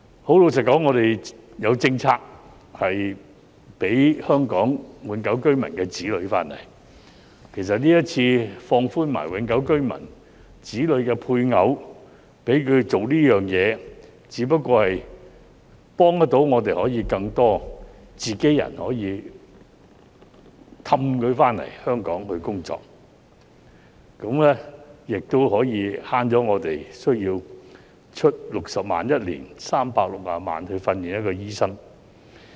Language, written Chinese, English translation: Cantonese, 很老實說，我們已有政策讓香港永久性居民的子女回港，其實今次一併放寬永久性居民、其子女或其配偶做這件事，只不過是幫助我們遊說更多自己人回港工作，也可替我們每年節省60萬元，共360萬元來訓練一名醫生。, Frankly speaking we already have put in place a policy to allow the return of the children of Hong Kong permanent residents HKPRs . This time the policy is relaxed to allow permanent residents their children and spouses of their children to do the same . This move only serves to lure more of our people to return to Hong Kong for work and also achieves savings of 600,000 a year or 3.6 million in total for training a doctor